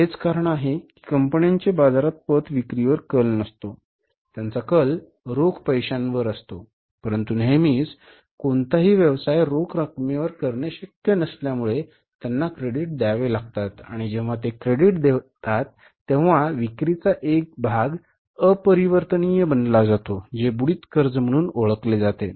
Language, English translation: Marathi, They tend to sell on cash but since it is not possible to do any business always on cash, 100% business on cash, so they have to give the credit and when they give the credit part of the sales become irrecoverable which are considered as bad debts